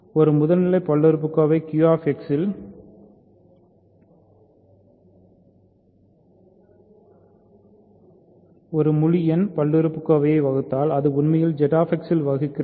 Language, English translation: Tamil, If a primitive polynomial divides an integer polynomial in Q X it actually divides in Z X itself